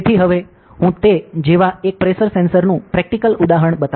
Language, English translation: Gujarati, So, now I will be showing a practical example of one pressure sensor like that